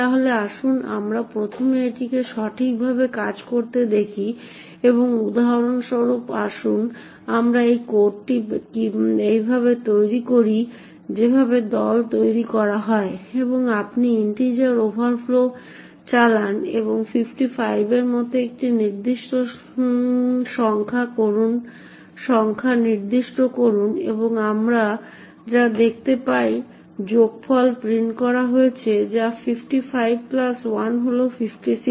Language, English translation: Bengali, So let us first see this working in the right way and so for example let us make this code as follows make team and then make and you run integer overflow and specify a number a such as 55 and what we see is that the sum is printed as 55 plus 1 is 56